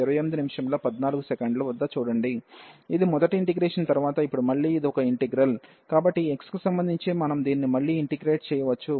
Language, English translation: Telugu, And now again this is a single integral, so with respect to x, so we can integrate again this